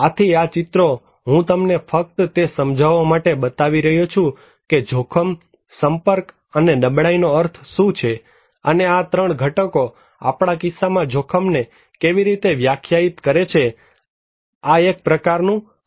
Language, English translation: Gujarati, more risky so, these illustrations I am giving you just to explain that what is the meaning of hazard exposure and vulnerability and how these 3 components define risk in our case, it is kind of disaster risk